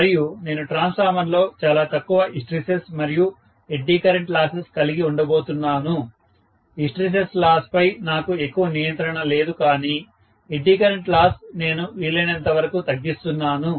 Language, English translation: Telugu, And I am going to have very low hysteresis and eddy current loss in a transformer, hysteresis loss I don’t have much control but eddy current loss I am decreasing as much as possible